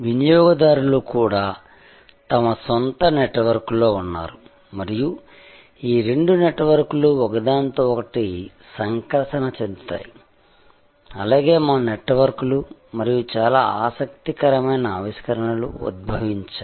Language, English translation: Telugu, Consumers are also in their own network and these two networks interact with each other also our networks and very interesting innovations are derived